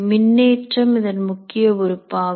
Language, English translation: Tamil, It is electric charges is the core